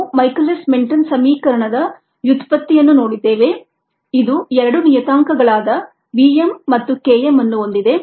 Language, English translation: Kannada, we went through the derivation of michaelis menten equation which has two parameters, v, m and k m ah in ah